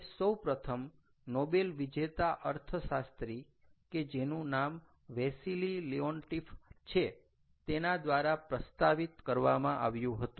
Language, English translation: Gujarati, it was first proposed by a nobel laureate, ah, economist, his name is wassily leontief